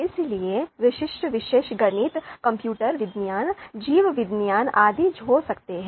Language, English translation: Hindi, So the subjects typical subjects subjects could be mathematics, computer science, bio biology etc